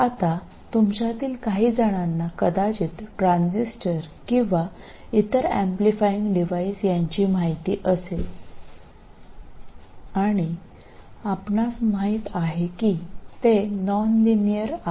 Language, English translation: Marathi, Now, some of you may have already been exposed to the transistor or other amplifying devices and you know that they are nonlinear